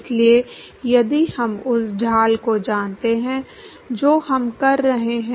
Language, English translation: Hindi, So, if we know the gradient we are done